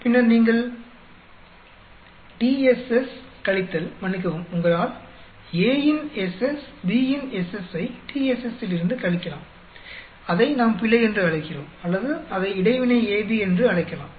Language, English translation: Tamil, Then you can subtract TSS minus, sorry, you can subtract SS of A, SS of B from TSS to get either we call it error or we can call it interaction AB